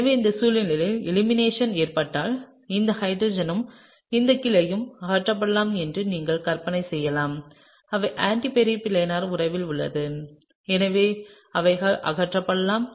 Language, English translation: Tamil, So, under this situation, if the elimination occurs, then you can imagine that this hydrogen and this Cl can be eliminated; they are in the anti periplanar relationship and so therefore, they could be eliminated